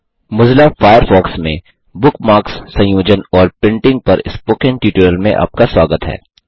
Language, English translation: Hindi, Welcome to the Spoken Tutorial on Organizing Bookmarks and Printing in Mozilla Firefox